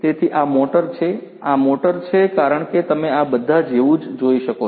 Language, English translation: Gujarati, So, this is this motor right, this is this motor as you can see over here like this all